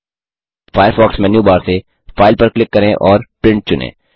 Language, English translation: Hindi, From the Firefox menu bar, click File and select Print